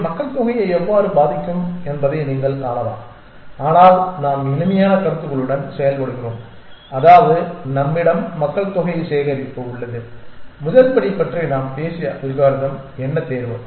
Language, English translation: Tamil, And you can see how it will affect the population one can think that but we work with simpler notions which is that we just have a collection of populations and what is the algorithm that we had talked about the first step is selection